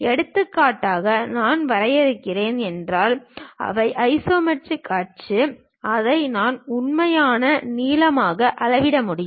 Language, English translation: Tamil, For example, if I am defining these are the isometric axis; I can measure this one as the true length